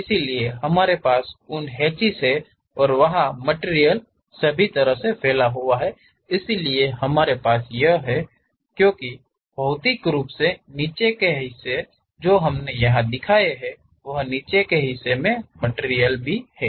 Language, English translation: Hindi, So, we have those hatches and material goes all the way there, so we have that; because bottom materially, the hatched portion what we have shown here is for that bottom portion